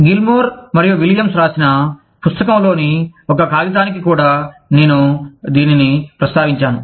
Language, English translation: Telugu, And, i have also referred to this, to a paper in the book, by Gilmore and Williams